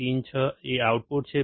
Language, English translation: Gujarati, Pin 6 is the output